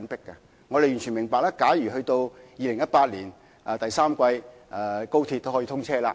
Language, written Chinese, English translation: Cantonese, 高鐵將於2018年第三季通車。, XRL will commence operation in the third quarter of 2018